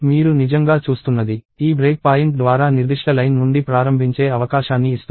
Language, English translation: Telugu, So, what you are really seeing is this break point gives you an opportunity to start from a particular